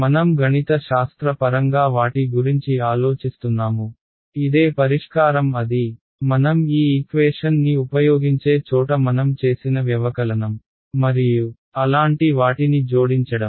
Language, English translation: Telugu, I am mathematically thinking of them as this is the same the solution is the same, where I use the this an equation all I did was add subtract and things like that right